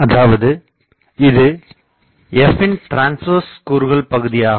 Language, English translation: Tamil, Basically, this is nothing, but the transverse component of the f